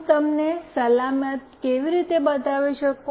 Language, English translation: Gujarati, How do I show you the secure one